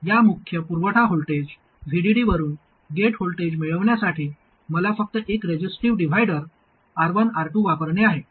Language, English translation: Marathi, To derive the gate voltage from this main supply voltage VDD, all I have to do is to use a resistive divider, R1, R2, and this is a supply voltage VDD